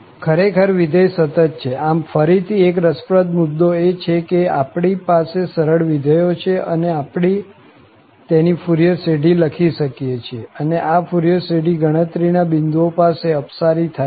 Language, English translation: Gujarati, Indeed, there are continuous functions, so that is again interesting point that we have nice functions and we can write down their Fourier series, and this Fourier series diverges at countable number of points